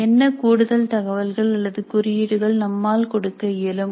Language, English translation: Tamil, Now what additional information or tags we can provide with the questions